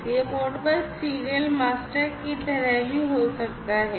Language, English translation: Hindi, And, this could be even like, Modbus serial master